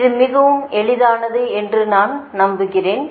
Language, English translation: Tamil, i hope this, this is very easy to understand